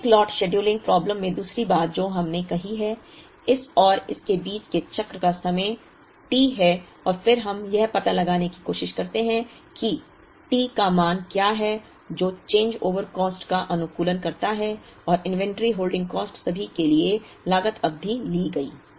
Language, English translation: Hindi, The other thing in the Economic Lot scheduling problem we said that, between this and this the consumption the cycle time is T and then we try to find out what is the value of T that optimizes the changeover cost plus the inventory holding cost for all the periods taken